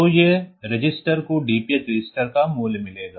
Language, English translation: Hindi, So, that register will get the value of the DPH register